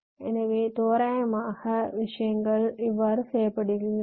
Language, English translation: Tamil, so, roughly, this is how things work